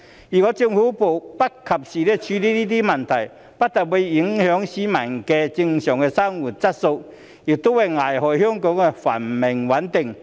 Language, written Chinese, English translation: Cantonese, 如果政府不及時處理這些問題，不但會影響市民的正常生活質素，亦會危害香港的繁榮穩定。, If the Government fails to address these problems in a timely manner it will not only affect the normal life of the people but also jeopardize the prosperity and stability of Hong Kong